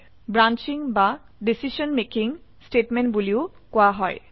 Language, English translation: Assamese, It is also called as branching or decision making statement